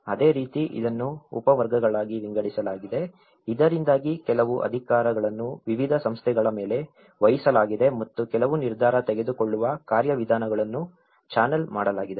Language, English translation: Kannada, So similarly, it has been branched out and subcategories so that certain powers are vested on different bodies and certain decision making mechanisms have been channelled through